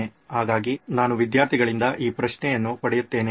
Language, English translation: Kannada, So often times I get this question from students